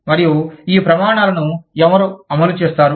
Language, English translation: Telugu, And, who will implement, these standards